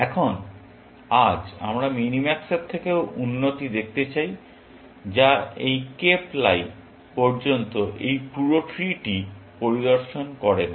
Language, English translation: Bengali, Now, today we want to look at improvement upon minimax, which does not inspect this entire tree, up to this cape lie